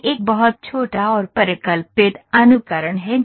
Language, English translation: Hindi, This is a very small and hypothesized simulation